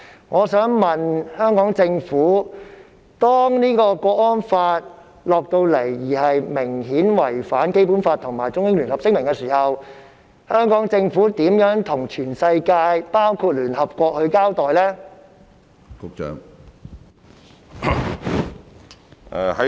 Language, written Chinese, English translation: Cantonese, 我想問局長，如果港區國安法明顯違反《基本法》及《中英聯合聲明》，香港政府會如何向全世界包括聯合國交代？, May I ask the Secretary how the Hong Kong Government will account to the whole world including the United Nations should the national security law obviously contravene the Basic Law and the Joint Declaration?